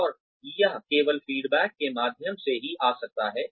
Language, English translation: Hindi, And, this can only come through, the feedback, that is given